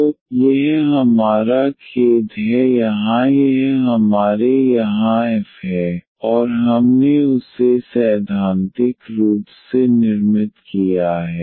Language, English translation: Hindi, So, this is our sorry here this is our f here, and we have constructed this theoretically